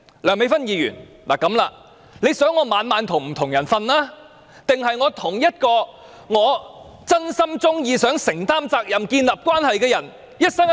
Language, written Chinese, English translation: Cantonese, 梁美芬議員希望我每晚與不同的人睡覺，還是希望我與一名我真心喜歡、想承擔責任並建立關係的人一生一世？, Does Dr Priscilla LEUNG want me to sleep with different people every night? . Or does she want me to enter into a union for life with a person whom I truly love and want to be responsible to and establish a relationship with?